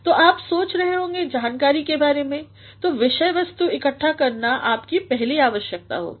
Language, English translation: Hindi, So, you might be thinking of the information, so gathering the material that is your first requirement